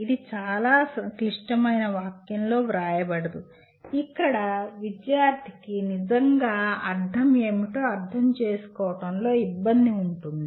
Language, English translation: Telugu, It cannot be written in a very complicated sentence where the student has difficulty in understanding what it really means